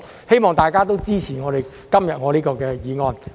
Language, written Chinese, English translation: Cantonese, 希望大家都支持我今天提出的議案。, I urge Members to support my motion today